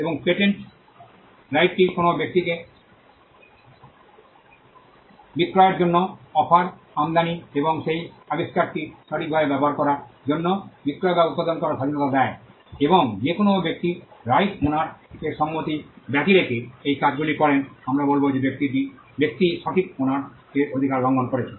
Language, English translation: Bengali, If the exclusive right vests in an invention, we would call that right a patent right, and the patent right gives a person the liberty to make or manufacture to sell to offer for sale, to import, and to use the right in that invention, and any person who does these things without the consent of the right owner we would say that person has violated the right of the right owner